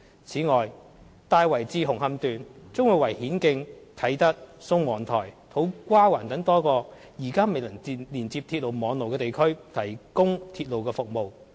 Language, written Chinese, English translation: Cantonese, 此外，"大圍至紅磡段"將會為顯徑、啟德、宋皇臺和土瓜灣等多個現時未能連接鐵路網絡的地區提供鐵路服務。, Moreover the Tai Wai to Hung Hom Section will provide railway service to various districts such as Hin Keng Kai Tak Sung Wong Toi and To Kwa Wan which are not covered by railway network for the time being